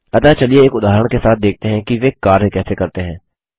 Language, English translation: Hindi, So let us see how they work through an example